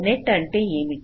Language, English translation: Telugu, like what is a net